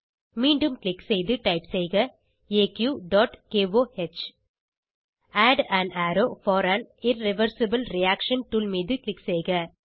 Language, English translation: Tamil, Click again and type Aq.KOH Click on Add an arrow for an irreversible reaction tool